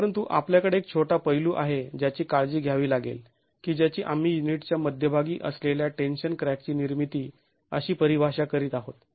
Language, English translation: Marathi, But we have one little aspect to be taken care of which is we are defining the formation of the tension crack at the center of the unit